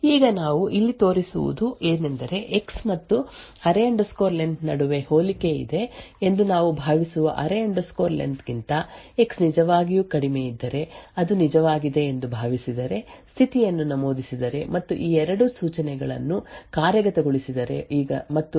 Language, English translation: Kannada, Now what the showed here is that there is a comparison between X and the array len now if X is indeed lesser than the array len which we assume is true right now then if condition is entered and these two instructions are executed and now let us assume this is the case right now